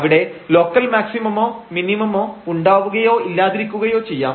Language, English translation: Malayalam, They may be there may be local maximum minimum there may not be a local maximum or minimum